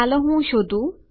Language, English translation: Gujarati, let me find it...